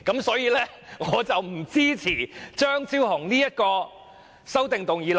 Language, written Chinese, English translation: Cantonese, 所以他們不支持張超雄議員的修正案。, Therefore they do not support Dr Fernando CHEUNGs amendments